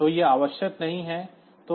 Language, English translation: Hindi, So, that is not required at all